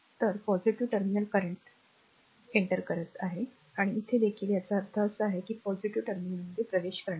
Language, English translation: Marathi, So, current entering into the positive terminal and here also you mean that current entering the positive terminal , right